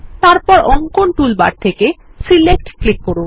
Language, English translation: Bengali, Then, from the Drawing toolbar click Select